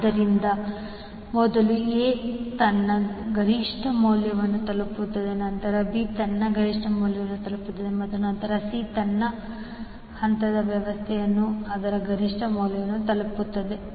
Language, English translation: Kannada, So, will see first A will reach its peak value, then B will reach its peak value and then C will reach its peak value in the in this particular phase arrangement